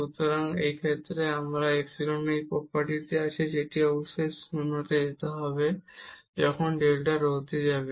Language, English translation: Bengali, So, in this case we have this property of the epsilon that this must go to 0 when delta rho goes to 0